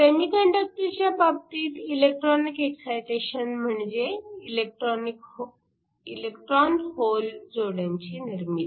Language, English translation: Marathi, So, In the case of semiconductors, when we mean electronic excitation we mean the creation of electron hole pairs